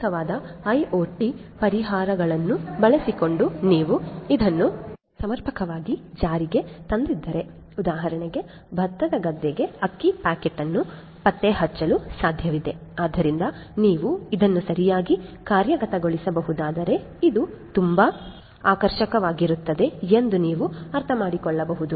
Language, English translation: Kannada, So, if you have this adequately implemented using suitable IoT solutions it would be possible for example, to trace a rice packet back to the paddy field that will be possible